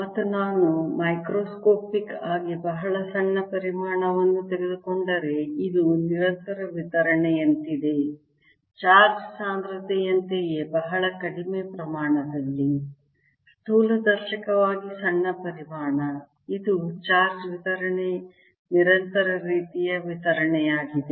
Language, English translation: Kannada, and if i take macroscopically very small volume, there is like a continuous distribution, just like in charge density, also in a very small volume, macroscopically small volume, it's a charge distribution, continuous kind of distribution